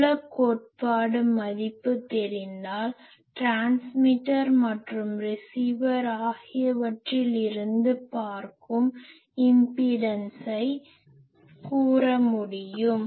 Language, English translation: Tamil, And knowing that field theory values will be able to tell what are the impedances, what are the as the transmitter sees, as the receiver sees